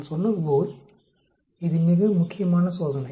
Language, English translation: Tamil, As I said, it is very important test